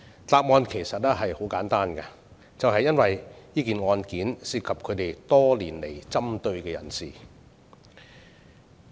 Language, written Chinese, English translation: Cantonese, 答案其實十分簡單，便是因為案件涉及他們多年來針對的人士。, The answer is very simple indeed . It is because the case involves a person they have been picking on for years